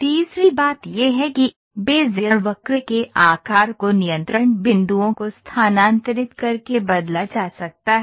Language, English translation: Hindi, The third thing is, the shape of a Bezier curve, can be changed by moving the control points